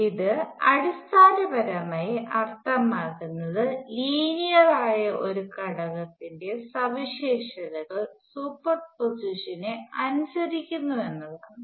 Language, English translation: Malayalam, Now what does linearity means this basically means that its characteristics, characteristics of an element which is linear obey superposition